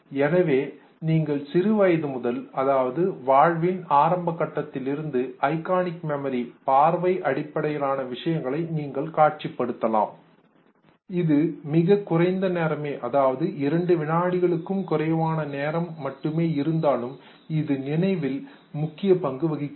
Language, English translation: Tamil, So, you can visualize that right from a very early stage in our life, iconic memory, vision based memory which basically serves us for a very brief period of time, not more than 2 seconds time time plays an important role